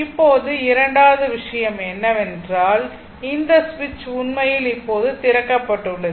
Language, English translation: Tamil, Now second thing is that this switch actually this switch is now opened right if switch is opened